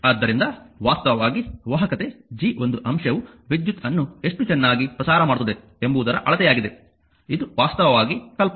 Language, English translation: Kannada, So, the conductance G actually is a measure of how well an element will conduct current, this is actually the idea